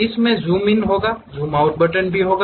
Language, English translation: Hindi, There will be zoom in, zoom out buttons also will be there